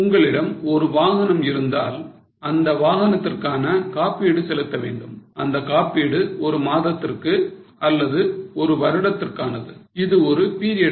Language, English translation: Tamil, If you have a vehicle you have to pay insurance on the vehicle and that insurance will be for one month or for one year